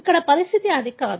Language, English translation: Telugu, That is not the condition here